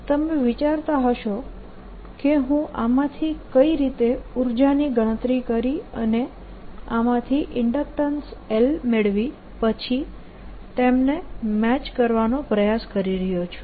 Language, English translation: Gujarati, you may be wondering how energy from that i am getting in inductance and then trying to match them